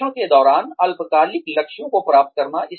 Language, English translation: Hindi, Achieve short term goals, during the training